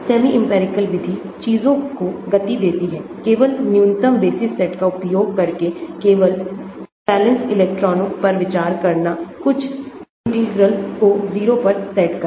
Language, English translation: Hindi, Semi empirical method speed things up; considering only the valence electrons using only a minimal basis set, setting some integrals to 0